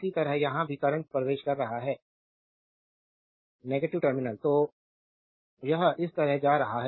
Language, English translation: Hindi, Similarly here also current is entering into the negative terminal; so, it is going like this